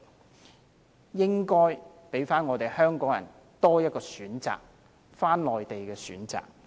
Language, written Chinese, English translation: Cantonese, 他們應該給香港人多一個選擇，一個返回內地的選擇。, Please give Hong Kong people an alternative means of transport an alternative means of transport to the Mainland